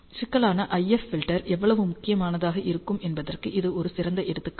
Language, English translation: Tamil, This is a very good example how critical IF filtering is